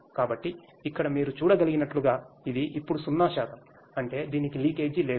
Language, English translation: Telugu, So, here as you can see it is zero percent now that means it has no leakage at all